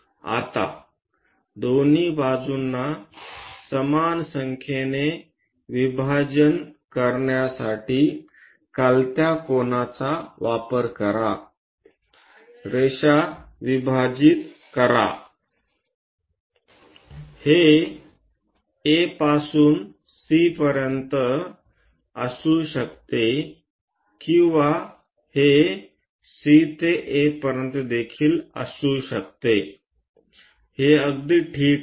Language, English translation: Marathi, Now, use inclined angle to make it equal number of divisions on both sides, divide the line; it can be beginning from A to C, or it can be from A ah C to A also, it is perfectly fine